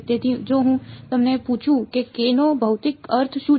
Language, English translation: Gujarati, So, if I ask you what is the physical meaning of k